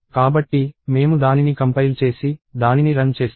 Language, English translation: Telugu, So, I compile it and then I run it